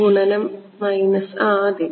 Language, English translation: Malayalam, Minus into yeah